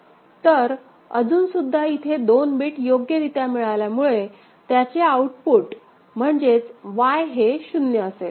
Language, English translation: Marathi, So, since it is still two bits that are detected properly so, its output is, Y is equal to 0 fine